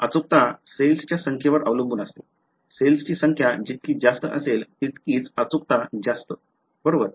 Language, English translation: Marathi, The accuracy depended on the number of cells right, the larger the number of cells the better was the solution accuracy right